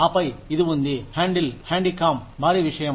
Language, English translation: Telugu, And then, there is this, handheld handy cam, huge thing